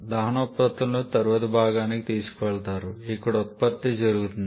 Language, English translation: Telugu, And the products of combustion are taken to the next component where the word production is done